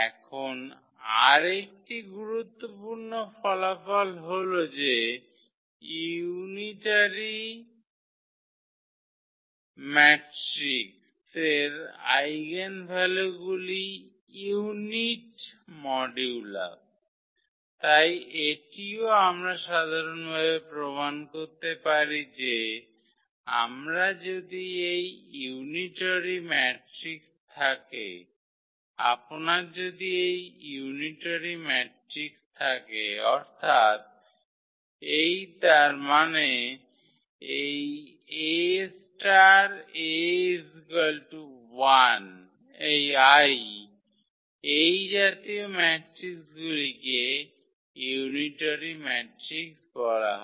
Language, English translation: Bengali, Now, another important result that the eigenvalues of unitary matrix are of unit modulus, so this also we can prove in general that if you have this unitary matrix; that means, this A star A is equal to is equal to identity matrix, so such matrices are called the unitary matrix